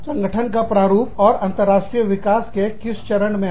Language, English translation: Hindi, The firm's forms and stages of international development